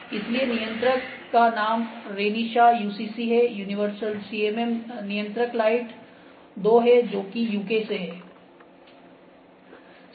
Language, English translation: Hindi, So, controller name is Renishaw UCC, universal CMM controller lite 2 from UK